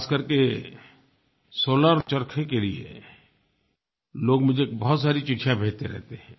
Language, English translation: Hindi, I have received many letters especially on the solar charkha